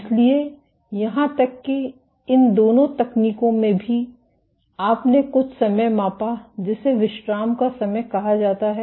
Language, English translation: Hindi, So, even in both these techniques you measured something called time constant of relaxation